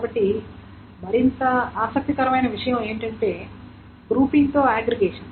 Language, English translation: Telugu, So what is more interesting is aggregation with grouping